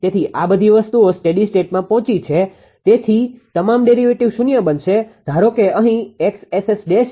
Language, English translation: Gujarati, Therefore, when it reaches all the steady state the derivatives are 0